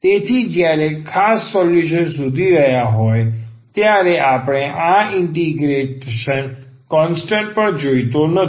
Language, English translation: Gujarati, So, while finding the particular solution, we do not want this constant of integration also